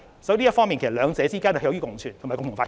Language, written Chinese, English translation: Cantonese, 所以，在這方面，其實兩者可以共存及共同發展。, Thus there is actually room for mutual existence and joint development